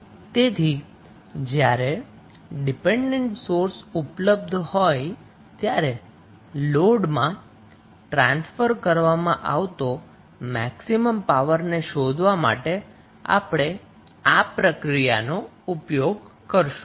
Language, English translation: Gujarati, So, in this way, you can find out the value of maximum power being transferred to the load when any dependent sources available